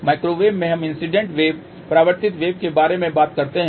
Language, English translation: Hindi, At microwave we are talk about incident wave reflected wave